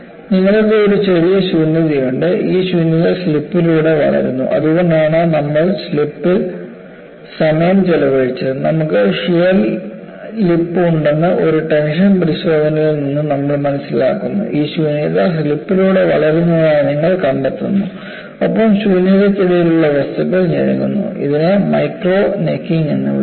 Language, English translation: Malayalam, And what you have is, you have these tiny voids, and these voids grow by slip; that is why, we spent time on slip, we have learned from a tension test that you have shear lip, and you find these voids grow by slip, and the material between the voids, necks down, this is called micro necking